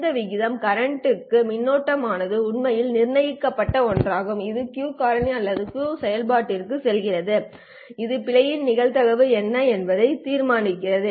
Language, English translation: Tamil, This ratio of the current to the sigma is the one that actually determines with the Q factor that goes into the Q function which then determines what would be the probability of error